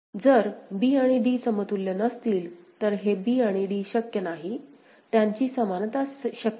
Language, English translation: Marathi, So, if b and d cannot be equivalent so, this b and d, this is not possible; equivalence of them is not possible